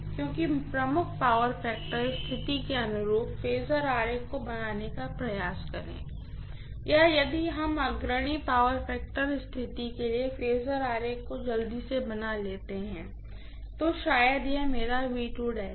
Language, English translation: Hindi, Please try to draw the phasor diagram corresponding to leading power factor condition or if we quickly draw the phasor diagram for leading power factor condition maybe this is my V2 dash